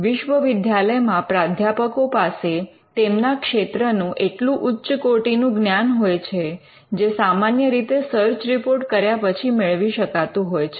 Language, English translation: Gujarati, For instance, some university professors may have cutting edge knowledge about their field which would be much better than what you would normally get by doing a search report